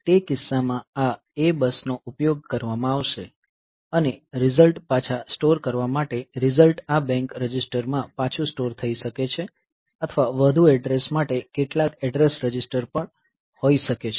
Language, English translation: Gujarati, So, in that case this A bus will be utilized and for storing the result back; so, result may be stored back onto the register in this bank register or it may be onto some address register for some for further addressing